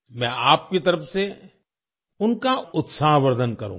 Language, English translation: Hindi, I will encourage them on your behalf